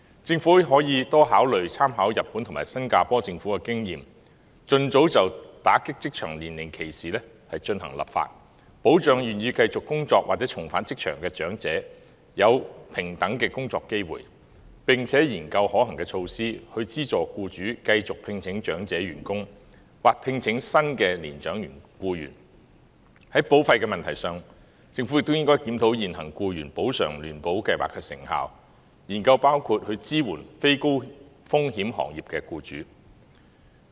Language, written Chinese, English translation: Cantonese, 政府可以多考慮參考日本及新加坡政府的經驗，盡早就打擊職場年齡歧視進行立法，保障願意繼續工作或重返職場的長者享有平等的工作機會，並研究可行措施，以資助僱主繼續聘請長者員工或聘請新的年長僱員；在保費問題上，政府亦應檢討現行僱員補償聯保計劃的成效，研究支援非高風險行業的僱主。, The Government can consider drawing reference from the experience in Japan and Singapore by enacting legislation against age discrimination in the job market as soon as possible to ensure that elderly people who are willing to continue to work or return to the job market can enjoy equal work opportunities and examine feasible measures to subsidize employers who continue to hire elderly employees or hire new elderly employees . On the issue of insurance premium the Government should also review the effectiveness of the existing Employees Compensation Insurance Residual Scheme and study how to support employers in non - high - risk industries